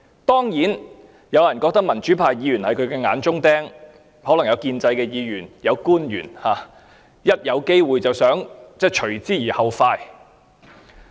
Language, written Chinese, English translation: Cantonese, 當然，有人覺得民主派議員是他的眼中釘，亦可能有建制派議員或官員伺機除之而後快。, Certainly some people think that democratic Members are a thorn in their side and pro - establishment Members or the officials may want to remove them when the opportunities arise